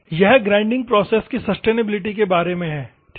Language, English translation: Hindi, This is about the sustainability of the grinding process, ok